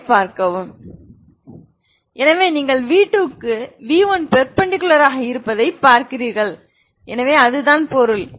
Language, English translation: Tamil, So you see that v2 is perpendicular to orthogonal means perpendicular to v1 so that is what is meaning